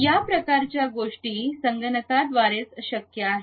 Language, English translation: Marathi, These kind of things can be possible only through computers